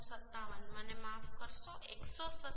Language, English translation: Gujarati, 57) sorry 157 into 0